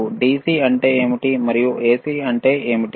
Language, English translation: Telugu, So, what is DC and what is AC